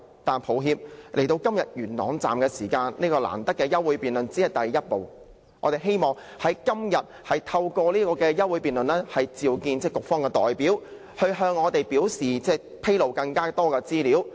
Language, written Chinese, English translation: Cantonese, 但是，今天元朗站的事件，提出這項難得的休會待續議案只是第一步，我們希望能透過今天的這項議案辯論，叫喚局方代表向我們披露更多資料。, But proposing this hard - won adjournment motion on the incident concerning the Yuen Long Station is but our first step . We hope that through this motion debate today we can call on the Bureau representative to disclose more information to us